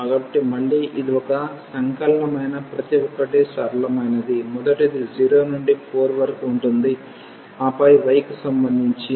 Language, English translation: Telugu, So, again this is a simple each of the integral is simplest the first one is 0 to 4 and then with respect to y